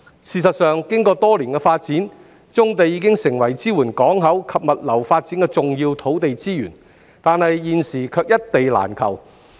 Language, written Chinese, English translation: Cantonese, 事實上，經過多年的發展，棕地已經成為支援港口及物流發展的重要土地資源，但現時卻一地難求。, In fact years of development has already made brownfield sites an important source of land supporting port and logistics development . Unfortunately these sites are in great shortage now